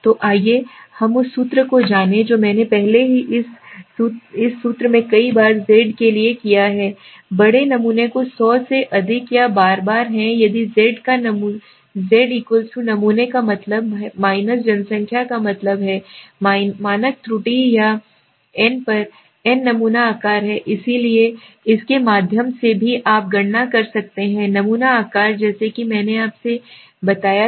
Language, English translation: Hindi, So let us go to the what is the formula as I have already done this formula many a times the Z for large samples which is greater than or equal to 100 if Z = X sample mean the population mean up on the standard error or s/vN, N is the sample size, so through also you can calculate the sample size as I told earlier